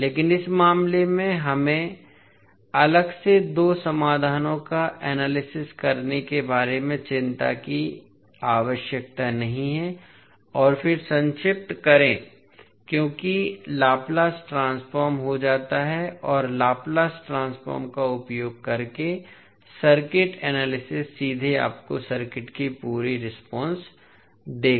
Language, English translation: Hindi, But in this case we need not to worry about having two solutions analyze separately and then summing up because the Laplace transform and the circuit analysis using Laplace transform will directly give you the complete response of the circuit